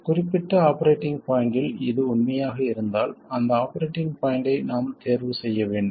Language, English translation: Tamil, If it is true around a certain operating point, we have to choose that operating point